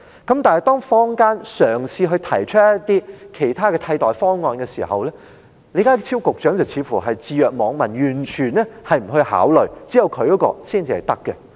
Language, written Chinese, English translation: Cantonese, 可是，當坊間嘗試提出其他替代方案時，李家超局長卻似乎置若罔聞，完全不作考慮，認為只有他的方法才可行。, However when other alternatives were proposed in the community Secretary John LEE seemed to turn a deaf ear to them and dismiss them out of hand believing that only his method is feasible